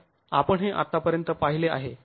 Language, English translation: Marathi, So, this is what we have seen so far